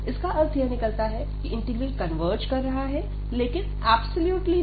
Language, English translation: Hindi, So, if the integral converges, the integral may not converge absolutely